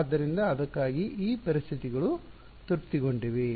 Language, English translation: Kannada, So, for that on this conditions are satisfied